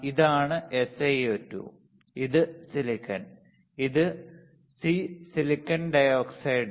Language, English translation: Malayalam, This is Sio 2, this is silicon, this is photo red, this is silicon dioxide